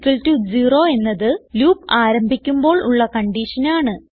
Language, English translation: Malayalam, i =0 is the starting condition for the loop